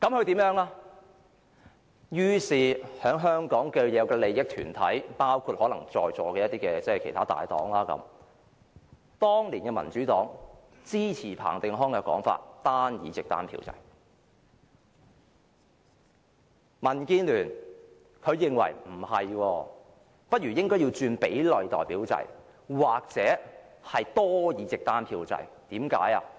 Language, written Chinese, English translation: Cantonese, 至於香港的既得利益團體，包括在座的大黨的反應是，當年的民主黨支持彭定康單議席單票制的說法；民建聯認為不應是這樣，不如轉為比例代表制或多議席單票制。, The groups with vested interests in Hong Kong including the major political parties in this Council now responded differently to this idea . The Democratic Party supported PATTENs advocacy of the single - seat single vote system . But the Democratic Alliance for the Betterment of Hong Kong thought the otherwise saying that the proportional representation system or the multi - seat single vote system should be adopted instead